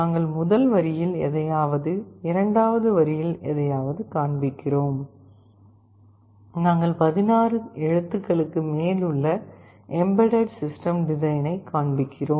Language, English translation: Tamil, We are displaying something on first line, something on second line, we are displaying EMBEDDED SYSTEM DESIGN, which is more than 16 character